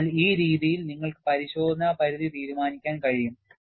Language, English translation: Malayalam, So, this way, you would be able to decide the inspection limits